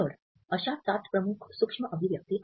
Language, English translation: Marathi, So, those are the seven major micro